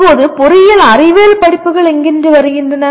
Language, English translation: Tamil, Now where do the engineering science courses come to